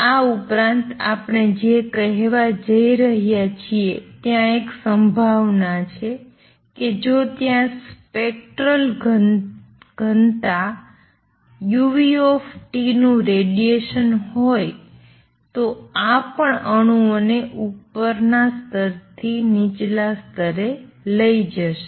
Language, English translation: Gujarati, What we are also going to say in addition there is a possibility that if there is a radiation of spectral density u nu T this will also make atoms jump from upper level to lower level